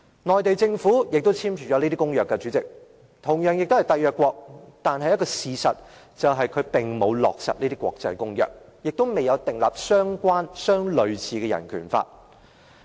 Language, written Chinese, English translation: Cantonese, 內地政府亦簽署了這些公約，代理主席，中國同樣是締約國，但事實上，它並沒有落實這些國際公約，也沒有訂立相關或類似的人權法。, The Mainland Government has signed these treaties too . Deputy Chairman China is also a State party but in reality it has not implemented these international treaties . Neither has it enacted any relevant or similar human rights law